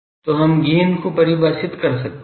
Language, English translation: Hindi, So, Gain is we can define gain as the